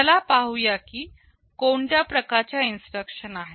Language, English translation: Marathi, Let us see what kind of instructions are there